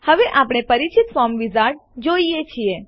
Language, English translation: Gujarati, Now we see the familiar Form wizard